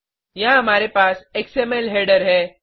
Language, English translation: Hindi, We have an xml header here